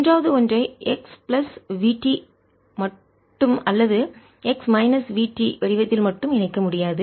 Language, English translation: Tamil, third, one cannot be combined in the form of x plus v t alone or x minus v t alone